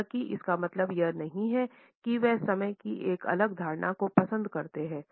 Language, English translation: Hindi, It does not mean, however, that he prefers a different perception of time